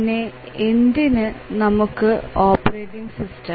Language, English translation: Malayalam, And then why do we need a operating system